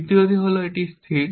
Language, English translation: Bengali, The third is, it is static